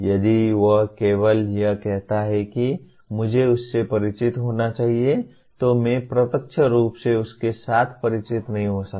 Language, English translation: Hindi, If he merely say he should be familiar with I cannot directly observe what he is familiar with directly